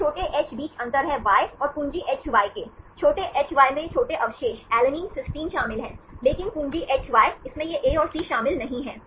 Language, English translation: Hindi, There is a difference between this small hy and capital Hy; small hy includes these small residues, alanine, cysteine, but capital Hy, it does not include this A and C